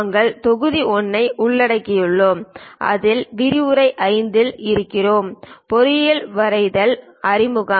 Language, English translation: Tamil, We are covering Module 1, in which we are on lecture number 5; Introduction to Engineering Drawing